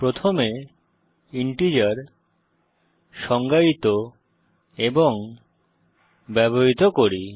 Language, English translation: Bengali, Let us define and use integers first